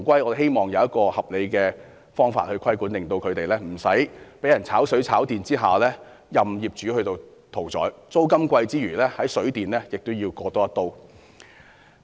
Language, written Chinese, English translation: Cantonese, 我只希望有一個合理方法規管，令租客不用被人"炒水、炒電"，任業主宰割，除承擔昂貴租金外，還要在水電開支上被割一刀。, I just hope that a reasonable approach can be adopted to exercise regulation so that tenants will not have to put up with the unauthorized water and electricity surcharges imposed by landlords . Otherwise in addition to exorbitant rentals these tenants will suffer another blow in water and electricity expenses